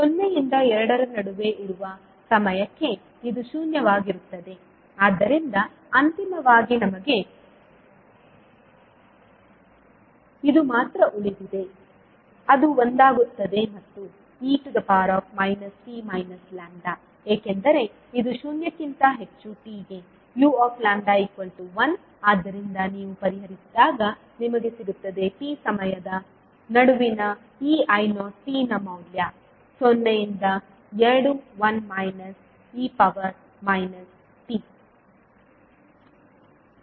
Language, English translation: Kannada, So fro time t ranging between zero to two this will be zero so finally we are left with only only this will will which will become one and e to the power minus t minus lambda because this the u lambda is one for t greater than zero so when you will solve you will get the value of this I naught t between time t zero to two as one minus e by t minus and p f